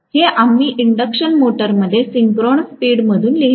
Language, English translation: Marathi, This we wrote as the synchronous speed in an induction motor